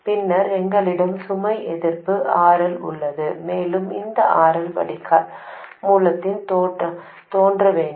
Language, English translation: Tamil, And then we have a load resistance RL and this RL must appear across drain source